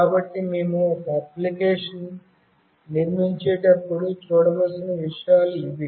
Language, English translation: Telugu, So, those things we need to look upon when we build an application